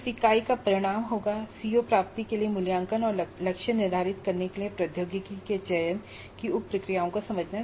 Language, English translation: Hindi, So, the outcome of that unit would be understand the sub processes of selecting technology for assessment and setting targets for CO attainment